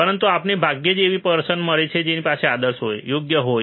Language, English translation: Gujarati, But we rarely find a person who has who is ideal, right